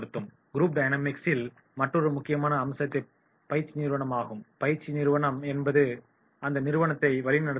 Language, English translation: Tamil, In the group dynamics another important aspect is training agency that is who the agency is